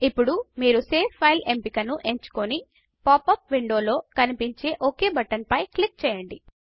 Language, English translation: Telugu, Now you can select the Save File option and click on the Ok button appearing in the popup window